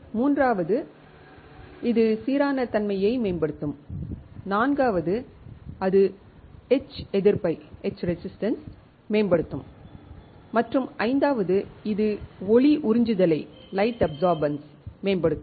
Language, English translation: Tamil, Third is that it will improve the uniformity, fourth is that it will improve the etch resistance and fifth is it will optimize the light absorbance